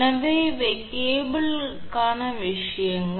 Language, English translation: Tamil, So, these are the things for cable